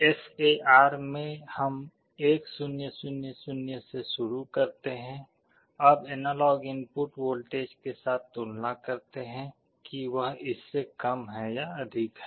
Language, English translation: Hindi, In the SAR we start with 1 0 0 0, we compare with the analog input voltage whether it is less than or greater than